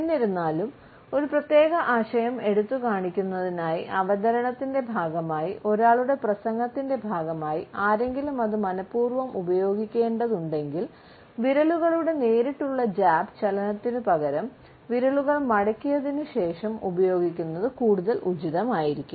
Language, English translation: Malayalam, However, if somebody has to use it deliberately as a part of one’s speech, as a part of ones presentation to highlight a particular idea for example, then it would be more appropriate to use several fingers together and bending them instead of putting it in a direct jab position